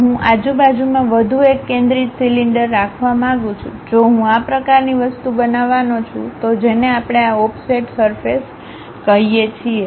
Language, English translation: Gujarati, I would like to have one more concentric cylinder around that, if I am going to construct such kind of thing that is what we call this offset surfaces